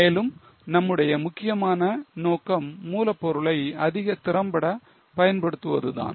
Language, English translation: Tamil, And our main purpose is to use raw material more effectively